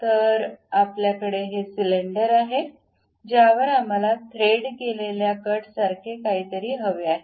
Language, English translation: Marathi, So, we have this cylinder on which we would like to have something like a threaded cut on it